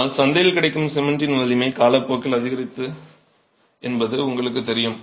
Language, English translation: Tamil, But as you know, the strength of cement has what is available in the market increased over time